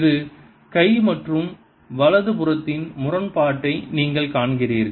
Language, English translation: Tamil, you see the inconsistency of the left hand side and the right hand side